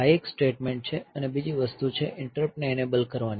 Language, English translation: Gujarati, So, this is one statement and the other thing is the enabling of interrupt